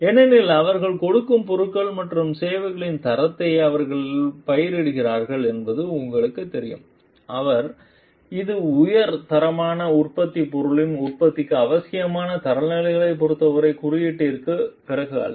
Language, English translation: Tamil, And like because, you know they cultivate the quality of goods and services that they are giving is not after the mark as for the standards, which is required for the productive be of high quality product